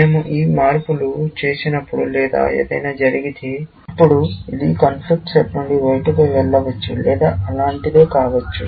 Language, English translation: Telugu, Only, when we make these changes, if something happens, then it may go out of the conflict set or something like that